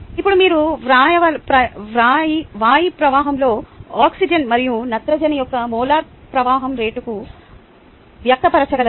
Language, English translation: Telugu, now, can you express the molar flow rates of oxygen and nitrogen in the air stream in terms of the molar flow rate of air